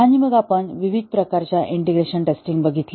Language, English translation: Marathi, And then we had looked at the different types of integration testing